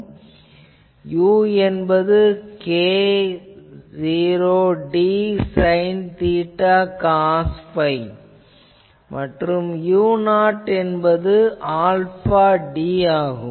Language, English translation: Tamil, So, u as before we will write as k 0 d sin theta cos phi, and u 0 is alpha d